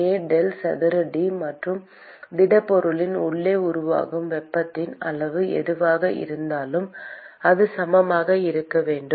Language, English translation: Tamil, k del square T plus whatever is the amount of heat that is generated inside the solid, and that should be equal to the accumulation term